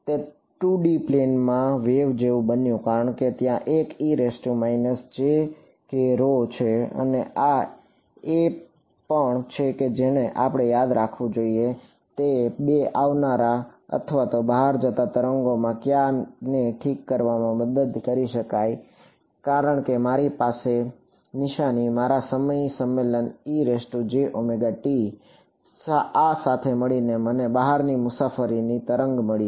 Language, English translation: Gujarati, It became like plane wave in 2 D; because there is a e to the minus jk rho and this also what helped us to fix the which of the 2 incoming or outgoing waves we should keep remember because my sign my time convention was e to the j omega t combined with this I got an outward travelling wave right